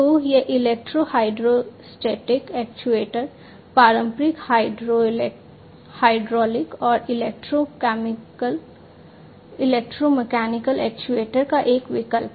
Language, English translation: Hindi, So, this electro hydrostatic actuator are a substitute to the traditional hydraulic and electromechanical actuators